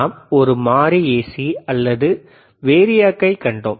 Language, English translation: Tamil, And we have seen a variable AC or variac